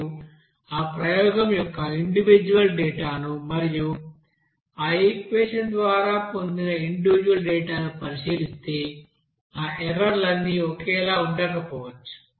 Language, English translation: Telugu, But all those error, if you consider individual data of that experiment and individual data obtained by that equation, they may not be same